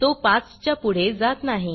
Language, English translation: Marathi, I cannot go beyond 5